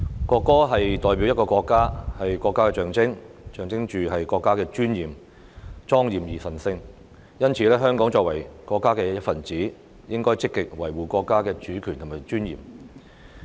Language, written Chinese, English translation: Cantonese, 國歌代表國家，是國家的象徵，象徵國家的尊嚴，莊嚴而神聖，香港作為國家的一分子，應該積極維護國家的主權和尊嚴。, National anthem represents a country . It is a solemn and sacred sign symbolizing the dignity of the country . As a part of the country Hong Kong should actively preserve national sovereignty and dignity